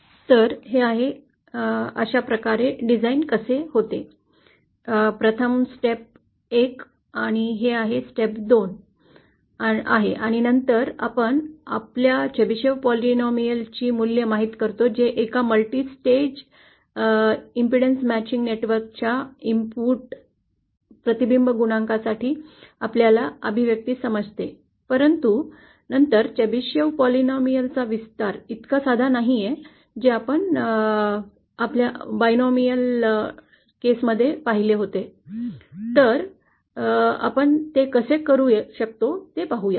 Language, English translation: Marathi, So this is how the design goes, first this is step 1, this is step 2 and then we just simply equate you know the values of the Chebyshev polynomial with our expression for the input reflection coefficient of a multi stage impudence matching network, but then the expansion for the Chebyshev polynomial is not so simple as we saw as the case for the binomial, so let us see how we can do that